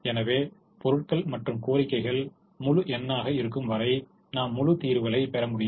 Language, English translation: Tamil, in our example, the supply quantities and the demand quantities were integers and therefore we got integer solutions